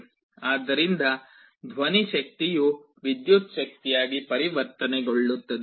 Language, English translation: Kannada, So, sound energy gets converted into electrical energy